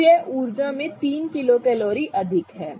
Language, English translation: Hindi, So, it is 3 kilo calories more in energy